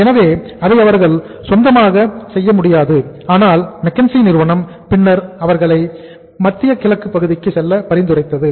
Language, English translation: Tamil, So it could not be done at their own level but McKenzie then suggested them to go to Middle East